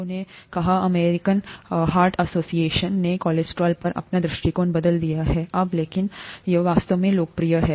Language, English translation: Hindi, People have, The American Heart Association has changed its view on cholesterol now, but it is popular anyway